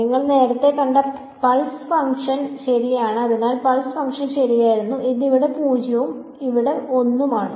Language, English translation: Malayalam, The pulse function which you already saw right so the pulse was right it is 0 over here and 1 over here